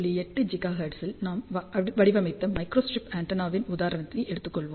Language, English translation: Tamil, So, let us take an example of a microstrip antenna which we had designed at 5